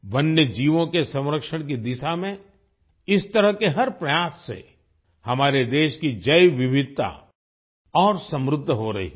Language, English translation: Hindi, With every such effort towards conservation of wildlife, the biodiversity of our country is becoming richer